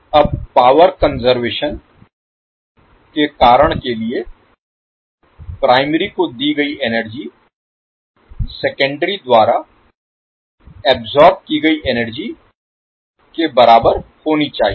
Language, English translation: Hindi, Now the for the reason of power conservation the energy supplied to the primary should be equal to energy absorbed by the secondary